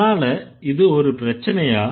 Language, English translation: Tamil, That is why should it be a problem